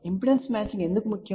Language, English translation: Telugu, Why impedance matching is important